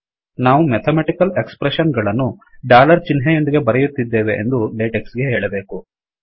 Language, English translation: Kannada, We have to tell latex that we are writing mathematical expressions with a dollar sign